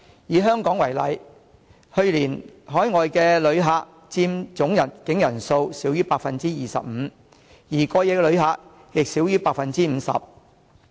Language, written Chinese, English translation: Cantonese, 以香港為例，去年海外旅客佔總入境人數少於 25%， 而過夜旅客亦少於 50%。, Take Hong Kong as an example . Overseas tourists accounted for 25 % of the total inbound arrivals last year while overnight tourists accounted for less than 50 % of the total